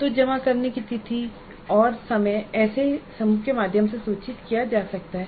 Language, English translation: Hindi, So date and time of submission can be communicated through such a group